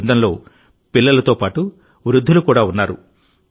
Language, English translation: Telugu, There are children as well as the elderly in this group